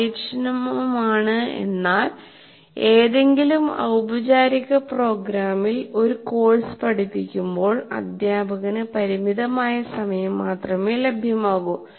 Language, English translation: Malayalam, Efficient in the sense for in any formal program, there is only limited time available to a teacher when he is teaching a course